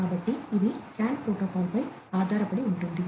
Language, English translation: Telugu, So, this you know it is based on the CAN protocol